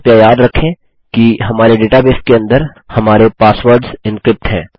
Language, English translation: Hindi, Please remember that inside our database, our passwords are encrypted